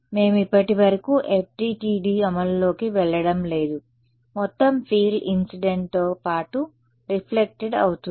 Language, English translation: Telugu, We are not, so far, going into FDTD implementation just total field is incident plus reflected